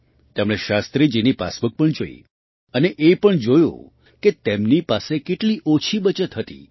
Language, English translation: Gujarati, He also saw Shastri ji's passbook noticing how little savings he had